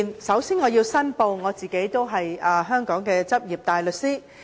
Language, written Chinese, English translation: Cantonese, 首先我要申報，我是香港的執業大律師。, First of all I have to declare that I am a practising barrister in Hong Kong